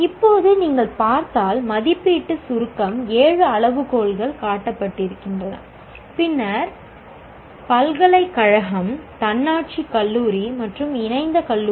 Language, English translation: Tamil, Now, the assessment summary if you look at, the seven criteria are shown and then U is university, AU is Autonomous College and AFF is Affiliated College